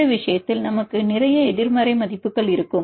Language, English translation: Tamil, In this case we will have lot of negative values right